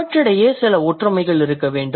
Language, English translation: Tamil, That means there must be some similarities